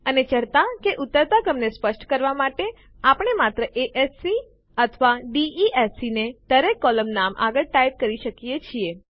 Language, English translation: Gujarati, And to specify the ascending or descending order, we can simply type A S C or D E S C next to each column name